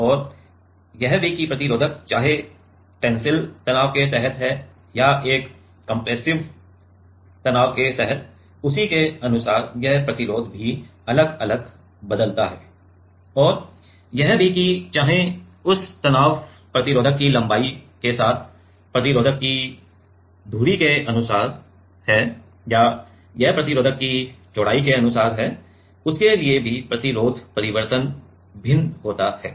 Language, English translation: Hindi, And, also whether the resistor is under tensile stress or under a compressive stress accordingly this resistance changes also different and also whether it is stress is across the axis of the resistor along the length of the resistor or it is along the breadth of the resistor according to that also resistance change varies